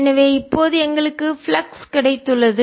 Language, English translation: Tamil, so we have got the flux